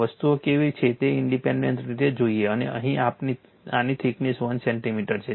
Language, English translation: Gujarati, Independently will see how things are and here this is your thickness of this is 1 centimeter